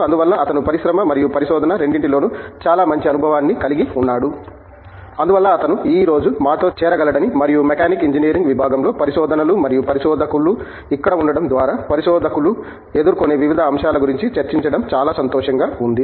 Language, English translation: Telugu, So, he has a very good experience with both industry and research and so we are very glad that he could join us today and to discuss research in the area of Mechanical Engineering and various aspects that researchers might encounter through their stay here, at in their research carrier